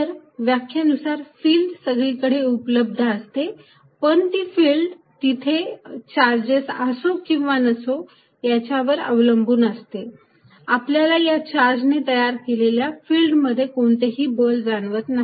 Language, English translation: Marathi, So, by definition field exists everywhere, but that field exist independent of whether the charges there or not, even that we do not feel any force this charge by itself is creating a field